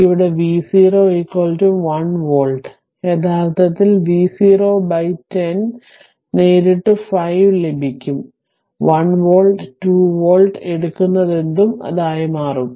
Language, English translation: Malayalam, Here I have taken v 0 is equal to 1 volt, no need actually v 0 by 1 0 directly we will get 5 ohm right; 1 volt, 2 volt whatever you take right, it will become 5 ohm